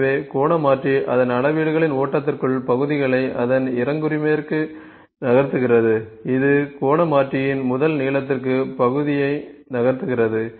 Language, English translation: Tamil, So, angular converter move the parts to its successor within the flow of measurements like, it moves the part on to the first length of angular converter